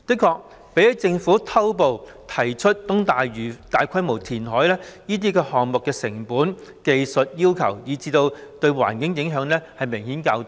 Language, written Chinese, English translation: Cantonese, 確實，相較政府偷步提出在東大嶼大規模填海的計劃，這些選項的成本、技術要求及對環境的影響也明顯較低。, Indeed when compared with the large - scale reclamation project at eastern Lantau proposed by the Government after sidestepping the due process the costs technical requirements and environmental impact of these options are clearly lower